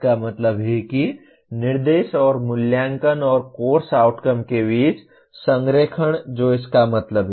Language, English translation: Hindi, That means alignment between instruction and assessment and course outcomes that is what it means